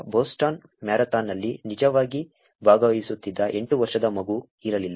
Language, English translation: Kannada, There was no 8 year old kid, who was actually participating in the Boston marathon